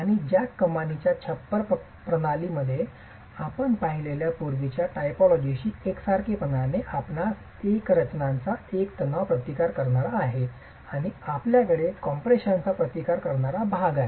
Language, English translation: Marathi, And in a jack arch roof system, in a way analogous to the previous typology that you have seen, you have a tension resisting part of the composition and you have a compression resisting part of the composition